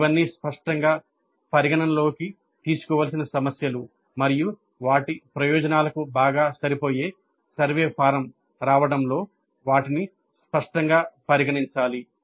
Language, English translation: Telugu, But these are all the issues that need to be taken into account explicitly and they need to be considered explicitly in arriving at a survey form which is best suited for their purposes